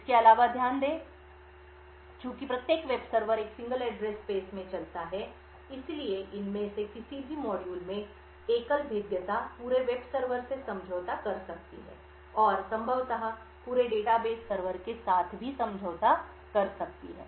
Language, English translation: Hindi, Further, note that since each web server runs in a single address space, single vulnerability in any of these modules could compromise the entire web server and could possibly compromise the entire data base server as well